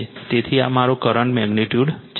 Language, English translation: Gujarati, So, this is my current magnitude